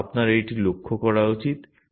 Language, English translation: Bengali, But you should observe that this one